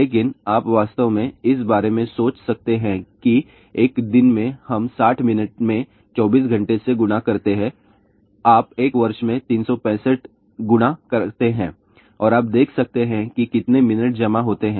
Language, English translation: Hindi, But you can actually think about that in one particular day see we have 60 minutes multiplied by 24 hours you multiply that by 365 in a year and you can see how many minutes are accumulated and then you can compare the power of Wi Fi which is typically of the order of 0